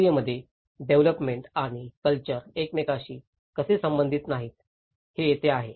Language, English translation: Marathi, And this is where how development and culture are not related to each other in the process